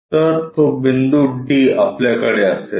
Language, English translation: Marathi, So, that point D we will have